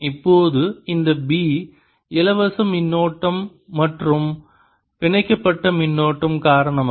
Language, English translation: Tamil, now, this b, due to both the free current as well as the bound currents